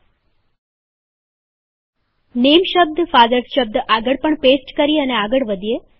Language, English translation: Gujarati, Lets paste the word NAME next to Fathers as well and continue